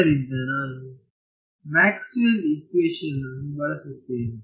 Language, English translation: Kannada, So, I use Maxwell’s equation and what should I replace this by